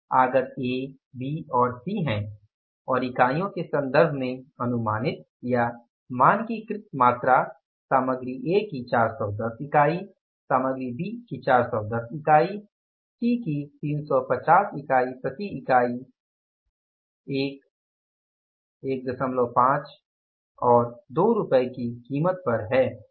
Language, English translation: Hindi, Inputs these are A, B and C and the quantity estimated or standardized is in terms of units is 1,010 units of material A, 410 units of material B, 350 units of the product or the material C, at a price of rupees 1, 1